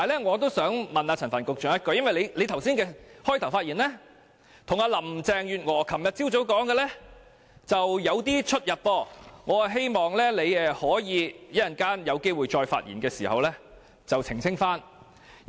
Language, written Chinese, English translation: Cantonese, 我想向陳帆局長提問，因為他剛才的開場發言與林鄭月娥昨晨所說的略有不同，我希望他可以在稍後發言時澄清。, As what Secretary Frank CHAN said in his opening speech did not tally with the remarks made by Carrie LAM yesterday morning may I ask him to clarify when he speaks later?